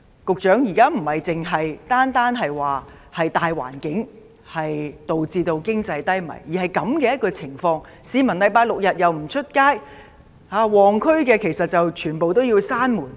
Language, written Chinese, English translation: Cantonese, 局長，現時不單是大環境導致經濟低迷，而是出現了這些情況，市民周末和周日也不出門，旺區的商店又被迫關門。, Secretary what happens now is not just an economic recession caused by factors in the wider environment but these situations have emerged . The public do not go out at weekends and shops in busy districts are forced to close